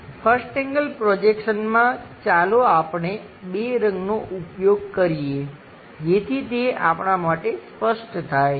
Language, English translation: Gujarati, In 1st angle projection,let us use two colors, so that it will be clear for us